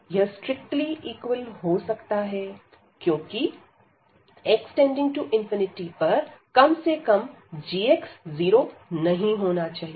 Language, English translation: Hindi, So, it can be strictly equal also because that x approaches to infinity at least this g x should not be 0